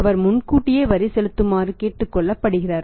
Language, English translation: Tamil, He is being asked to pay the tax in advance